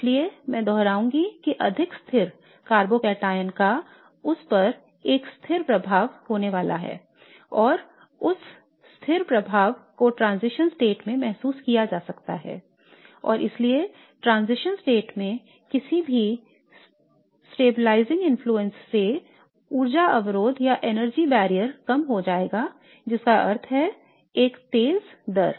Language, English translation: Hindi, So if we follow along this logic then a more stable carbocataon should have a more stabilized transition state and therefore more stabilized transition state will mean a lower energy which means that it is going to be faster